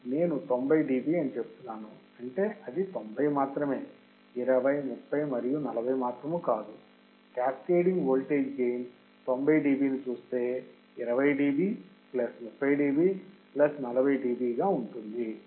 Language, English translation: Telugu, So, if I see 90 dB that means, the 90 would be nothing but 20, 30 and 40 correct, 90 db would be about 20 dB plus 30 dB plus 40 dB very easy cascading voltage gain in case of the filters in case of the filters